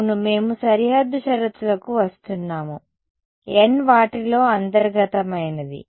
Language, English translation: Telugu, Yeah we are coming to the boundary conditions n of them are interior